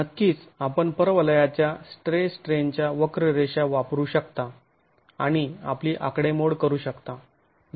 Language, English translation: Marathi, Of course, you can use a parabolic strain curve and make your calculations